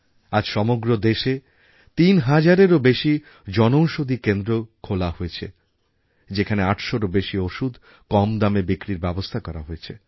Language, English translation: Bengali, Presently, more than three thousand Jan Aushadhi Kendras have been opened across the country and more than eight hundred medicines are being made available there at an affordable price